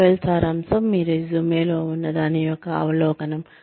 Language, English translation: Telugu, Profile summary is an overview of, what is contained in your resume